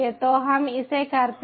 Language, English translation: Hindi, so lets do it